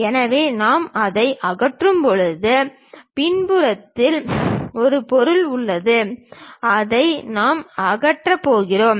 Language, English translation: Tamil, So, when we remove that, at back side there is a material that one we are going to remove it